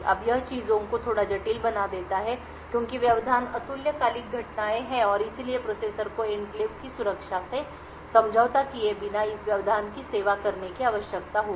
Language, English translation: Hindi, Now this makes things a bit complicated because interrupts are asynchronous events and therefore the processor would need to do service this interrupt without compromising on the security of the enclave